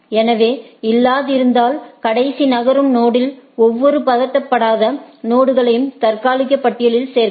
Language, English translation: Tamil, Add each unprocessed node in the last move node to tentative list, if not already present